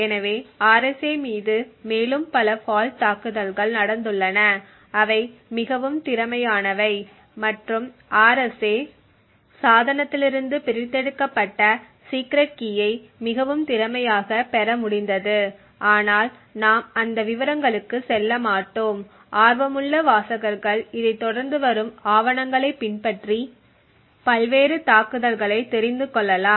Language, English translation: Tamil, So there have been many further attacks on RSA so many further fault attacks on RSA which have been much more efficient and which were able to more efficiently get the secret key extracted from the RSA device but we will not go into those details and I would leave it to the interested readers to actually look at the papers that follow this and look at the various attacks